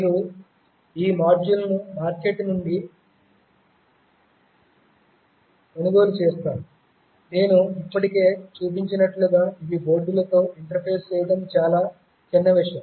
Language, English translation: Telugu, You buy these modules from the market, these are really trivial to interface with the boards as I have already shown